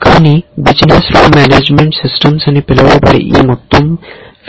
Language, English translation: Telugu, But there is this whole field called business rule management systems